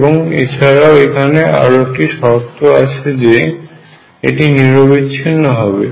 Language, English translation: Bengali, And with this also there is one more condition this should be continuous